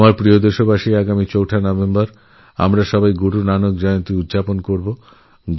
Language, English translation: Bengali, My dear countrymen, we'll celebrate Guru Nanak Jayanti on the 4th of November